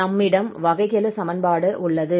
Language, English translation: Tamil, So we will solve this differential equation